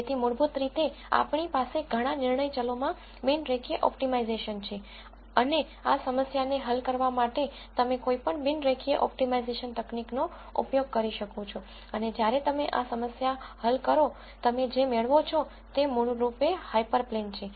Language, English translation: Gujarati, So, basically we have a non linear optimization problem in several decision variables and, you could use any non linear optimization technique to solve this problem and when you solve this problem, what you get is basically the hyper plane